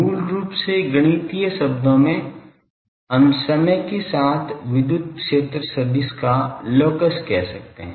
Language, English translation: Hindi, Basically in mathematical terms we can say the locus of the electric field vector with time